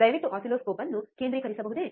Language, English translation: Kannada, Can you please focus oscilloscope